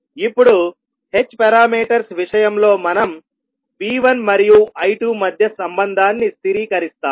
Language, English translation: Telugu, Now in case of h parameters we stabilize the relationship between V1 and I2